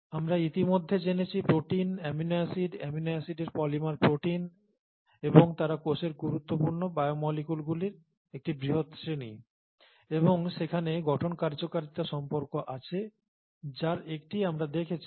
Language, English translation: Bengali, We have already seen that proteins, amino acids, polymers of amino acids are proteins and they are a large class of important biomolecules in the cell and there is a structure function relationship, one of which we have seen